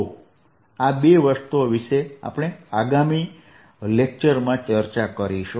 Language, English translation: Gujarati, these two things will do in the next lecture